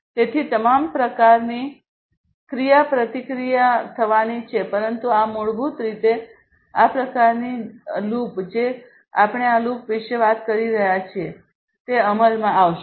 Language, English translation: Gujarati, So, all kinds of interactions are going to happen, but this is basically the kind of loop that we are talking about this loop is going to take into effect, right